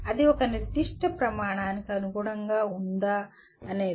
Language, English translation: Telugu, That is whether it meets a particular standard